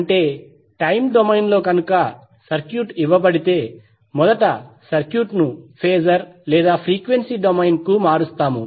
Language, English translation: Telugu, That means if the circuit is given in time domain will first convert the circuit into phasor or frequency domain